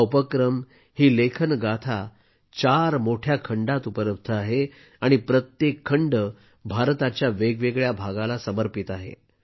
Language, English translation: Marathi, There are four big volumes in this project and each volume is dedicated to a different part of India